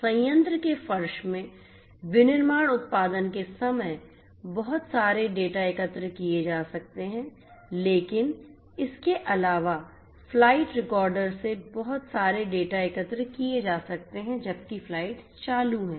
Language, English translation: Hindi, So, lot of data can be collected at the time of manufacturing production in the floor of the plants, but also additionally lot of data can be collected from the flight recorders, from the flight recorders while the flights are in operation